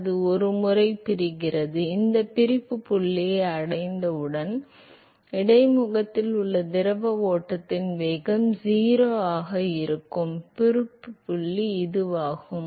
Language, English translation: Tamil, Now once in separates out; once it reaches the separation point, So, this is the separation point where the velocity of the fluid stream at the interface is 0